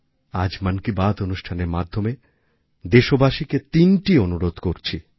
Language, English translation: Bengali, Today, through the 'Mann Ki Baat' programme, I am entreating 3 requests to the fellow countrymen